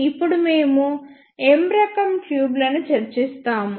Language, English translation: Telugu, Now, we will discuss M type tubes